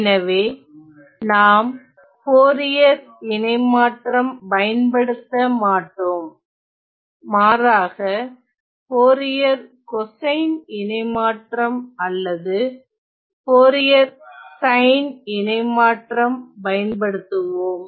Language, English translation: Tamil, So, we will not be using the full Fourier transform, but just the Fourier cosine or sine transform